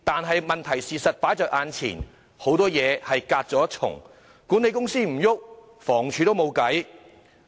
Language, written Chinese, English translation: Cantonese, 可是，事實擺在眼前，很多事情始終隔了一層，管理公司不行動，房署也沒有辦法。, However the fact speaks for itself . After all we have to go through one more layer in dealing with a lot of matters . If the management companies do not take any action HD can do nothing about it